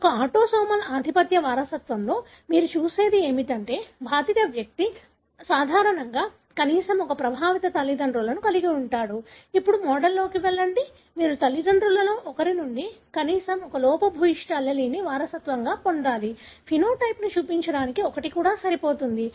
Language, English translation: Telugu, In an autosomal dominant inheritance what you would see is that an affected person usually has at least one affected parent; go with the model, you should have inherited at least one defective allele from one of the parents; even one is good enough to show the phenotype